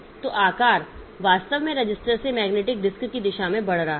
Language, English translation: Hindi, So, sizes actually increasing in the direction from register to magnetic disk